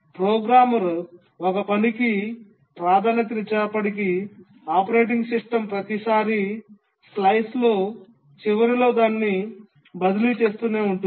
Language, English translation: Telugu, Even if the programmer assigns a priority to a task, the operating system keeps on shifting it the end of every time slice